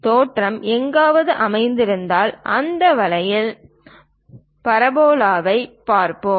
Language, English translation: Tamil, If origin is somewhere located, then we will see parabola in that way